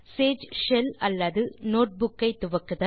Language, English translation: Tamil, Start a Sage shell or notebook